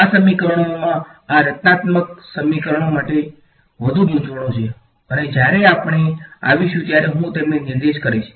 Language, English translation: Gujarati, There are further complications with these equations these constitutive equations and I will point them out when we come across ok